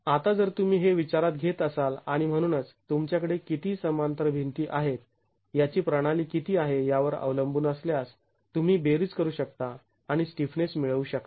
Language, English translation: Marathi, Now if you were to consider the and therefore depending on how many of a system, how many of a parallel walls you have, you can make a summation and get the total stiffness